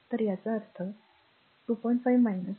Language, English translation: Marathi, So, that means, that means your 2